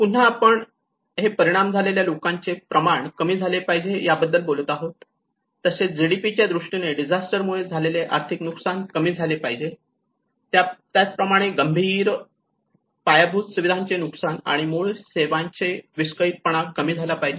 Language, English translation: Marathi, And again we talk about this reduction of this affected people, reduce direct disaster economic loss in terms of GDPs and also disaster damage to critical infrastructure and disruption of basic services